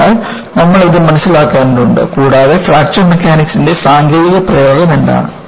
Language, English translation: Malayalam, So, you need to understand this, and, what is the technological application of Fracture Mechanics